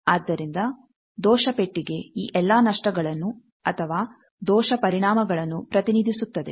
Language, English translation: Kannada, So, error box represent all these losses or error effects